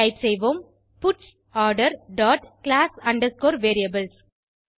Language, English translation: Tamil, Now let us type puts Order dot class underscore variables